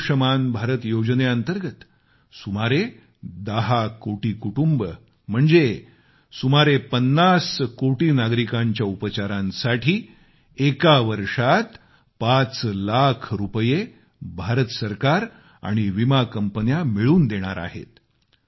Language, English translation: Marathi, Under 'Ayushman Bharat Yojana ', the Government of India and insurance companies will jointly provide 5 lakh repees for treatment to about 10 crore families or say 50 crore citizens per year